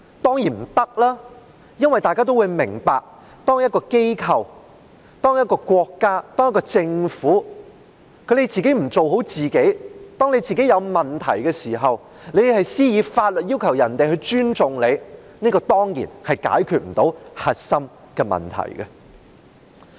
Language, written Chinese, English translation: Cantonese, 當然不能，因為大家也明白，當一個機構、一個國家、一個政府不做好自己，出現問題的時候只懂以法律要求人民尊重它，這當然無法解決核心的問題。, Of course not because we all understand that when an organ a state a government has failed to do its part properly and when problems have arisen it knows only to enact laws to demand the people to respect it surely the crux of the problem will not be resolved